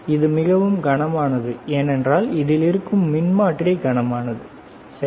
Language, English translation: Tamil, This is very heavy, right; because there is a transformer heavy, all right